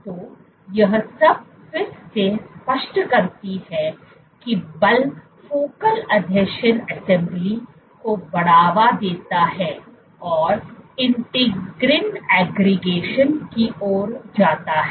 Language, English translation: Hindi, So, all of this is that again what is clear is force promotes focal adhesion assembly and leads to integrin aggregation